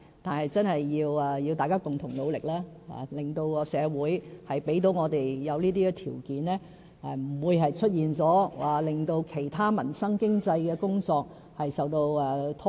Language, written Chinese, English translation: Cantonese, 可是，這真的需要大家共同努力，令社會具備條件，也不會令其他民生及經濟的工作受到拖延。, In this regard we must all work with one heart to bring forth the necessary social conditions but while doing so we must avoid causing any delay to the handling of livelihood and economic issues